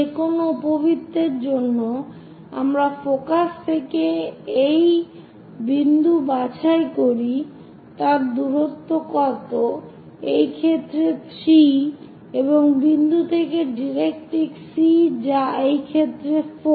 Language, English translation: Bengali, For any ellipse you pick a point from focus what is the distance, let us call that in this case 3 and from point to directrix C that is 4 in this case